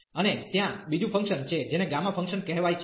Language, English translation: Gujarati, And there is another function it is called gamma function